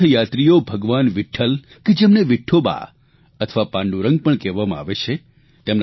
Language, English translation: Gujarati, Pilgrims go to have a darshan of Vitthal who is also known as Vithoba or Pandurang